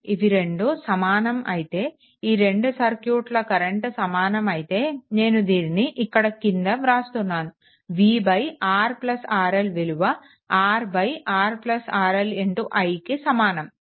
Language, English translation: Telugu, If both are equal, if both are equal, then we can write somewhere I am writing we can write that v upon R plus R L is equal to your R upon R plus R L into i right